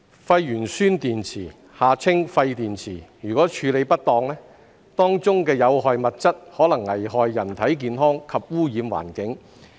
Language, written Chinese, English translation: Cantonese, 廢鉛酸蓄電池如處理不當，當中的有害物質可能危害人體健康及污染環境。, If waste lead - acid storage batteries are not disposed of properly the hazardous substances therein may threaten human health and contaminate the environment